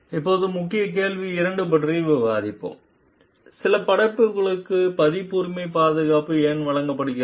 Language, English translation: Tamil, Now, we will discuss the key question 2 so, like: why are some creations accorded copyright protection